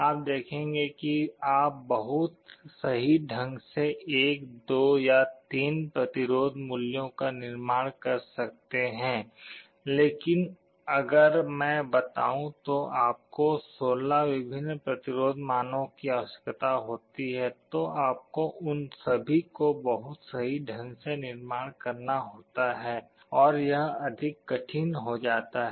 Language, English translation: Hindi, You see you can very accurately manufacture 1, 2 or 3 resistance values, but if I tell you require 16 different resistance values, you have to manufacture all of them very accurately, it becomes that much more difficult